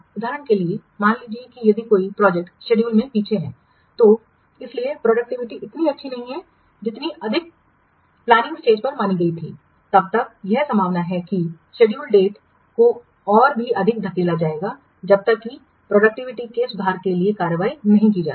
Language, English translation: Hindi, For example, suppose if a project is behind the schedule because so far productivity has not been as high as assumed at the planning stage, then it is likely that the schedule completion date also it will be pushed back even further unless action is taken to compensate for or improve the productivity